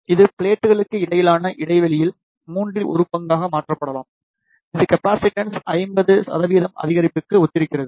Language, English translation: Tamil, This can be changed to one third of the gap between the plates, which corresponds to 50 percent increase in capacitance